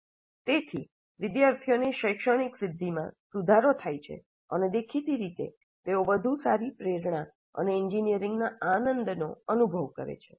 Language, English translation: Gujarati, So improved academic achievement and obviously better motivation and joy of engineering which the students experience